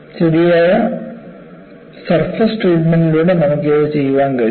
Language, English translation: Malayalam, You can do it by proper surface treatments